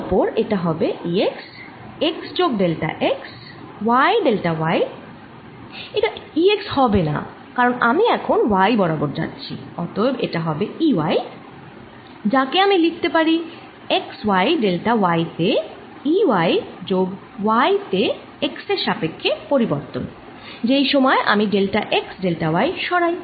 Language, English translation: Bengali, its not e x, because now i am going in the y direction, so it should be e, y, which i can write as e, y at x, y, delta y plus change in y with respect to x by the time i move delta x, delta y